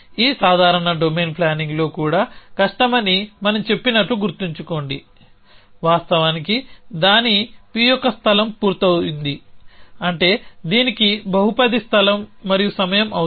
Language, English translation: Telugu, So, remember we at said that the even in this simple domain planning is hard in fact its p’s space complete which means it requires polynomial space and time